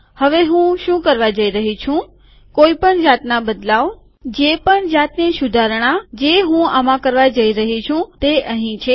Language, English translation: Gujarati, Now what I am going to do is, whatever change, whatever improvement that I am going to make to this are here